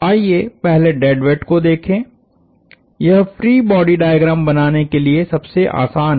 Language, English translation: Hindi, So, let us look at the dead weights first; that is the easier one to draw the free body diagram of